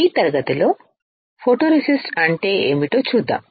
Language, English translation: Telugu, In this class, we will see what a photoresist is